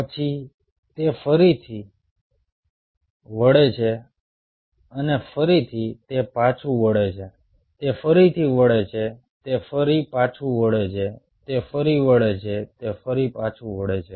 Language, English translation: Gujarati, then again it bend and again it goes back again, it bends again, it goes back, again it bends, again it goes back